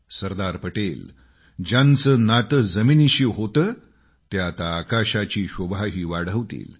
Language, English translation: Marathi, Sardar Patel, a true son of the soil will adorn our skies too